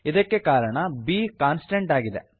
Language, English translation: Kannada, Here, b is a constant